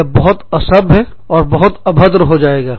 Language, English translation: Hindi, That becomes, very disrespectful, and very rude